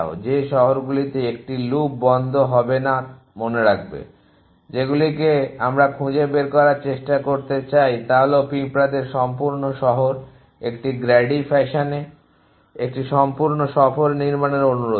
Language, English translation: Bengali, Cities which will not close a loop in is remember the, that ask at we a try to find is complete tour the ants a so as at ask of constructing a complete tour in a Grady fashion